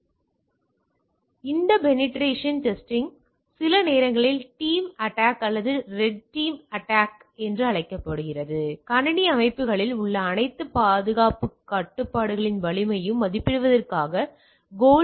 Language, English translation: Tamil, Now, this penetration testing sometimes also called the tiger team attack or red team attack that test for evaluating the strength of all security controls on the computer systems